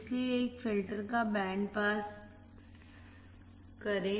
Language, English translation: Hindi, So, pass band of a filter